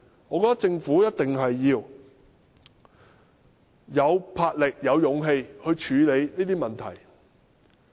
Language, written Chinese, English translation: Cantonese, 我認為政府一定要有魄力、有勇氣處理這些問題。, I trust the Government must have the boldness and courage to tackle these issues